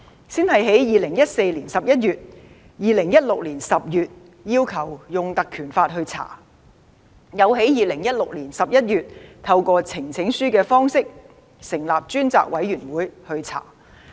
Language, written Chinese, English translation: Cantonese, 先在2014年11月和2016年10月要求引用《立法會條例》進行調查，又在2016年11月透過呈請書的方式，要求成立專責委員會調查有關事宜。, First some Members requested to conduct an inquiry into the case by invoking the Legislative Council Ordinance in November 2014 and October 2016 . In November 2016 Members requested the establishment of a Select Committee to look into the matter by way of presenting a petition